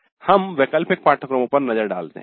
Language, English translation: Hindi, Now let us look at the elective courses